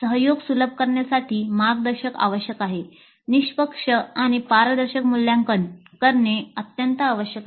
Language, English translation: Marathi, Mentoring to facilitate collaboration also would be required and fair and transparent assessment is absolutely essential